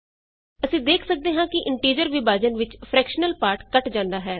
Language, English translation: Punjabi, We can see that in integer division the fractional part is truncated